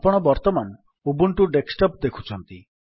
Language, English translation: Odia, What you are seeing now, is the Ubuntu Desktop